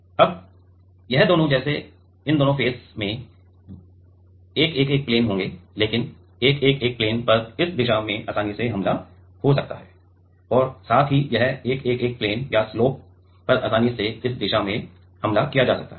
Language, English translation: Hindi, Now, both of this like this face is also and this face and this face also both of this face is will have 111 plain, but this 111 plain will get easily attacked from this direction as well as this 111 plain or the slope will get easily attacked from this direction